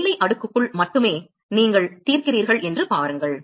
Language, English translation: Tamil, See you are solving only inside the boundary layer